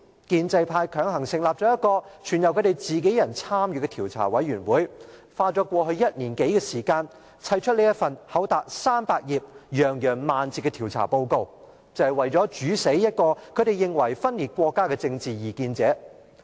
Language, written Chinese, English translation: Cantonese, 建制派強行成立了全由自己人參與的調查委員會，花了過去1年多的時間，堆砌出這份厚達300頁、洋洋萬字的調查報告，就是為了"煮死"一個他們認為分裂國家的政治異見者。, Pro - establishment Members forcibly established an investigation committee comprising of their peers . The committee has spent more than one year to pad out this investigation report with some 300 pages and over ten thousand words solely for the purpose of killing a political dissident whom they believe is a secessionist